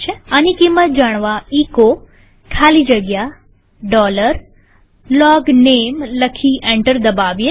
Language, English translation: Gujarati, In order to see the value type echo space dollar LOGNAME and press enter